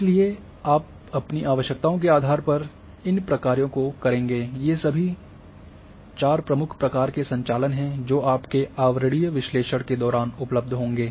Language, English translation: Hindi, So, depending on your requirements you will go for these operations, all these four major types of operations which are available during your overlay analysis